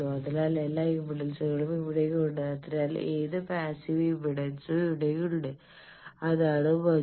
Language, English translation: Malayalam, So all the impedances are present here, so you tell any passive impedance they are here that is the beauty